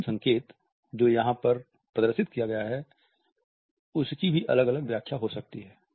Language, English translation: Hindi, The last sign which is displayed over here also may have different interpretations